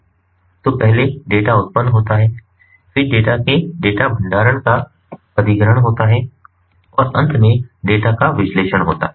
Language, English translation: Hindi, so first the data is generated, then comes acquisition of the data, storage of the data and finally, analysis of the data